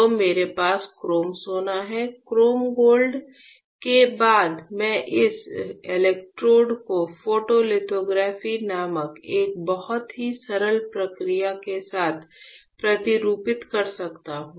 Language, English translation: Hindi, So, I have chrome gold; after chrome gold I can patterned this electrodes with a very simple process called photolithography